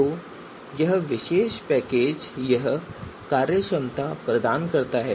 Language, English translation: Hindi, So this particular packages provides this functionality